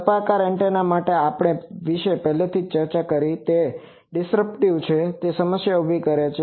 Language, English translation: Gujarati, Spiral antenna we have already discussed about this, it is dispersive that is why it creates problem